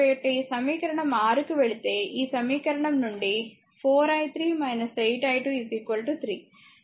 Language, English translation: Telugu, So, if you go to the equation ah 6 ah ah this equation your this 4 i 3 minus 8 i 2 is equal to 3